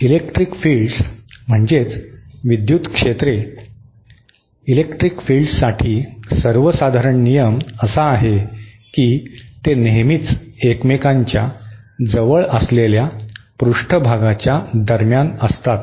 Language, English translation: Marathi, The electric fields, rule of thumb for electric fields is that they are always, they always exist between the surfaces which are closest to each other